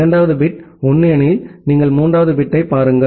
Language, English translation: Tamil, If the second bit is 1, then you look into the third bit